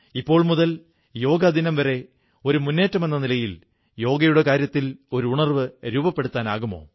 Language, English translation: Malayalam, Can we, beginning now, till the Yoga Day, devise a campaign to spread awareness on Yoga